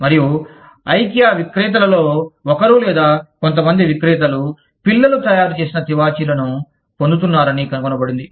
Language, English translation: Telugu, And, it was found that, one of the vendors or, some of the vendors, to Ikea, were getting the carpets made by children